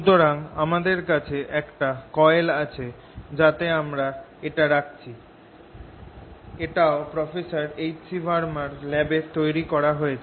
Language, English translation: Bengali, so here we have a coil in which we have put this, again developed in professor h c vermas lab